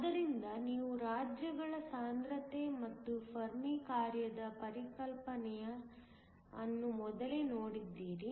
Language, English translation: Kannada, So, you have looked earlier, at the concept of density of states and the Fermi function